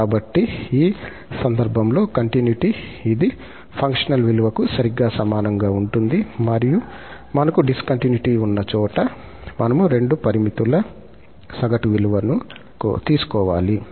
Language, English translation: Telugu, So, at the point of continuity, that this will be exactly equal to the functional value and wherever we have discontinuity, we have to take the average value of the two limits